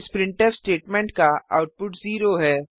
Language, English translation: Hindi, Output of this printf statement would be 0